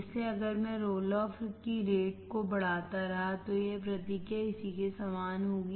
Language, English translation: Hindi, So if I keep on increasing the roll off rate, this response would be similar to this